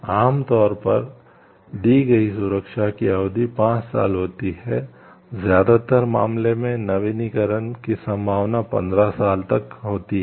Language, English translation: Hindi, Normally, the term protection granted is generally for 5 years with the possibility of further renewal in most cases up to 15 years